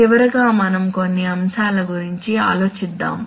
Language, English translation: Telugu, Finally we come to some points to ponder